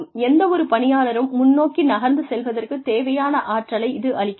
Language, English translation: Tamil, It always provides that energy, that any employee needs to move forward